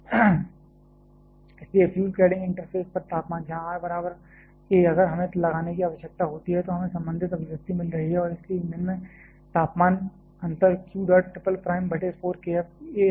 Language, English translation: Hindi, Therefore, temperature at the fuel cladding interface where r equal to a if we need to put we are getting the corresponding expression and hence the temperature difference across the fuel is q dot triple prime by 4 k F a square